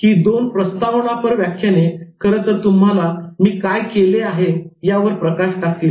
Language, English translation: Marathi, So these two introductory lectures actually gave you a good glimpse about what I have done before